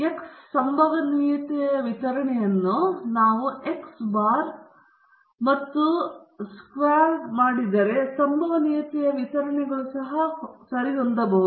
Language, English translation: Kannada, If x can have probability distribution x bar and s squared can also have probability distributions associated with them okay